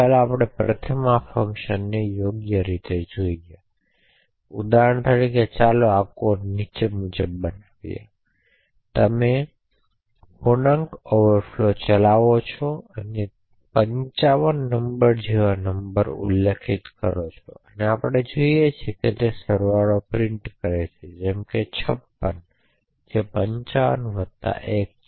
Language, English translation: Gujarati, So let us first see this working in the right way and so for example let us make this code as follows make team and then make and you run integer overflow and specify a number a such as 55 and what we see is that the sum is printed as 55 plus 1 is 56